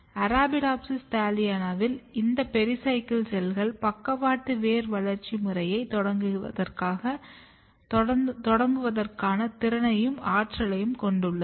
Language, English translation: Tamil, And it has been seen that in case of Arabidopsis thaliana these pericycle cells basically have competency and potential to initiate lateral root developmental specific program